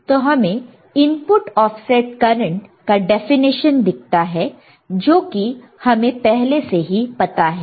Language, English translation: Hindi, I find that input offset current definition which we already know right